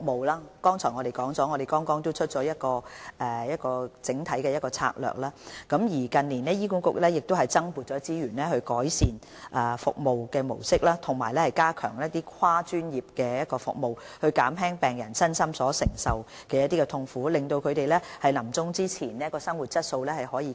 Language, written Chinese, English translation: Cantonese, 正如我剛才提及，我們剛制訂整體的《策略》，而醫管局近年亦已增撥資源，以改善服務模式及加強跨專業服務，從而減輕病人身心所承受的痛苦，令他們臨終前的生活質素得以改善。, As I said just now we developed the comprehensive Framework and in recent years HA has also allocated additional resources to improving the service model and strengthening multi - disciplinary service so as to ease patients physical and mental suffering and improve their quality of life before death